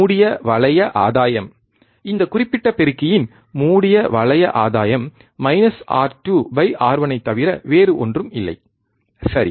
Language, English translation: Tamil, Closed loop gain closed loop gain of this particular amplifier is nothing but minus R 2 by R 1, right